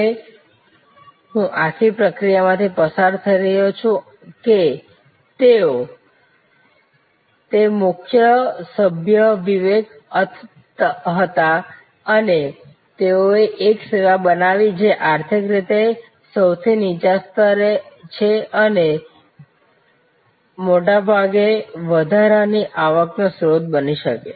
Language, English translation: Gujarati, And I am not going through the whole presentation how they did it, but the interesting idea is that this group of students they created, the leader was Vivek and they created a service which can be an additional source of income for rag pickers, people who are at the lowest strata of the economic pyramid